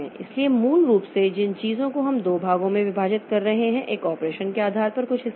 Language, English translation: Hindi, So, basically if the thing that we are we are dividing them into two parts, one is the, some part depending upon the operation